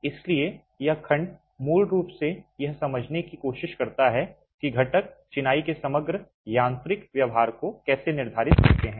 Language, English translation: Hindi, So, this segment basically tries to understand how the constituents determine the overall mechanical behavior of masonry